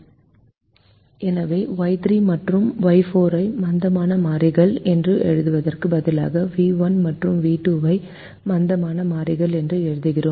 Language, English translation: Tamil, so, instead of writing y three and y four as the slack variables, we write v one and v two as the slack variables